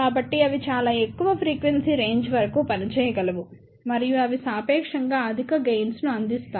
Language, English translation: Telugu, So, they can operate up to relatively very high frequency range and they provides relatively high gain